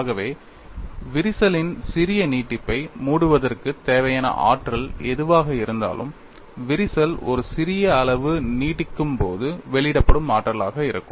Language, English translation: Tamil, So, whatever the energy required to close that small extension of the crack would be the energy released when the crack extends by a small amount